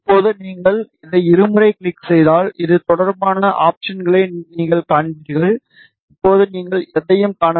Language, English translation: Tamil, Now, if you double click on this you will see the options related to this, right now you do not see anything